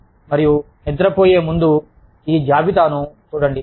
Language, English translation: Telugu, And, before you go to sleep, just look at this list